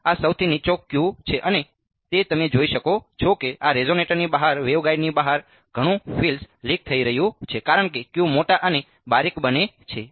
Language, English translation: Gujarati, So, this is the lowest Q and that is you can see that a lot of the field is leaking out right outside the waveguide outside this resonator lot of field is there as the Q becomes larger and finely larger over here